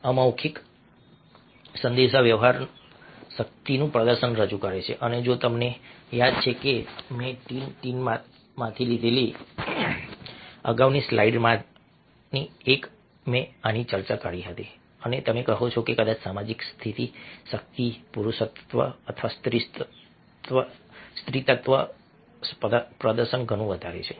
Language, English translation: Gujarati, non verbal communication presents display of power and, if you remember, in one of the earlier slides which i had taken from tin tin, i had discussed this and a you say that a, probably the display of social status, of power, of masculinity or feminity, is much more distinctively done in non verbal communication than through verbal or vocal communication